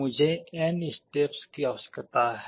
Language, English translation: Hindi, I need n number of steps